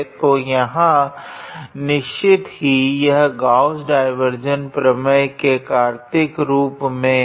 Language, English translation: Hindi, So, this is another example or application of Gauss divergence theorem